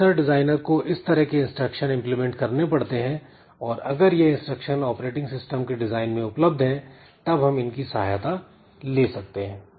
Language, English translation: Hindi, So, this is what will what the this processor designer they have to implement this type of instructions and if these instructions are available then in the design of the operating system we can take help of these features